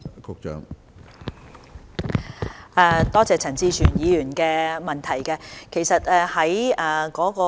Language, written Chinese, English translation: Cantonese, 多謝陳志全議員的補充質詢。, I thank Mr CHAN Chi - chuen for his supplementary question